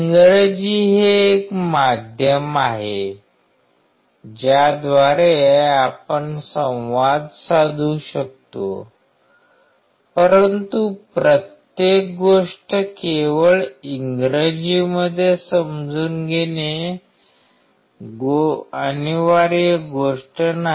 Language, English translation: Marathi, English is one medium through which we can communicate, but it is not a mandatory thing to understand everything only in English